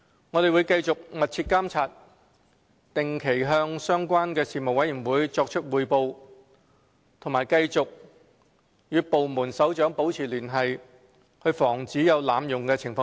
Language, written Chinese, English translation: Cantonese, 我們會繼續密切監察，定期向相關事務委員會作出匯報，並繼續與部門首長保持聯繫，以防止出現濫用情況。, We will continue to monitor the situation closely report to the relevant panels regularly and continue to maintain communication with department heads in order to prevent abuses